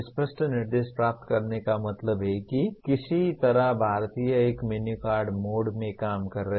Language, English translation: Hindi, Receive clear instructions means somehow Indians seem to be operating in a menu card mode